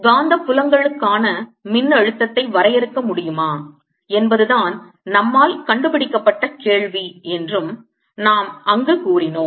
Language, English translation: Tamil, we also said there the question we are traced was: can we define a potential for magnetic fields